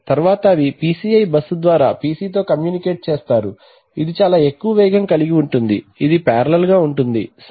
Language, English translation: Telugu, So and then they will communicate with the PC through the PCI bus which is much higher speed which is parallel in the facing, right